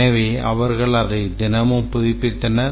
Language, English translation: Tamil, So, they update it daily